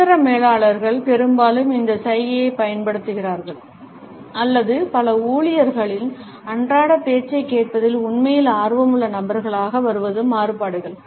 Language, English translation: Tamil, Middle managers often use this gesture or it’s variations to come across as people who are actually interested in listening to a day to day talk of several employees